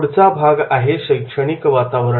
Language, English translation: Marathi, Then the learning environment